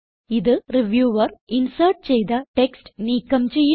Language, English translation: Malayalam, This deletes the text inserted by the reviewer